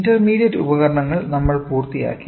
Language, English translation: Malayalam, So, we have finished that the intermediate device